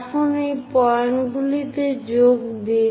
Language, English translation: Bengali, Now, join these points